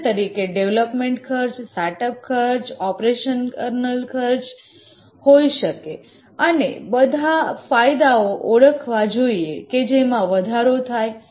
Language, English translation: Gujarati, The cost can be development costs, the set up cost, operational cost and also identify all the benefits that would accrue